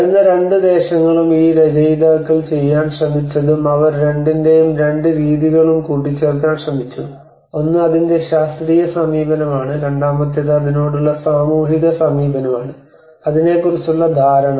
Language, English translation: Malayalam, The two lands coming and what this authors have tried to do they tried to club both the methods of both, one is the scientific approach of it, and second is the social approach to it, and the perception of it